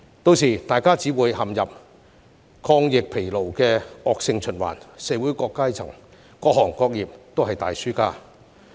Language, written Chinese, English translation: Cantonese, 屆時，大家只會陷入抗疫疲勞的惡性循環，社會各階層和各行各業也是大輸家。, By that time we will all fall into the vicious cycle of epidemic fatigue and various social strata and different sectors will become big losers